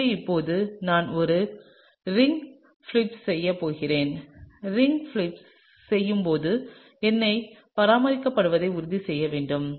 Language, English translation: Tamil, So, now, I am just going to do a ring flip and while doing the ring flip, you need to make sure that the numbering is maintained